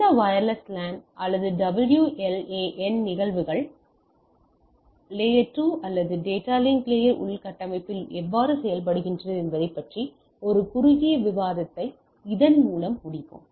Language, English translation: Tamil, So, with this let us conclude our overview a short discussion of this how this wireless LAN or WLAN have there the phenomena works in the layer 2 or data link layer infrastructure right